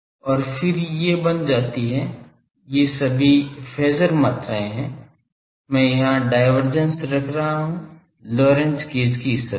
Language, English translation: Hindi, And then these becomes, all these are phasor quantities sometimes in hurry; this is I am putting the divergence that Lorentz gauge condition here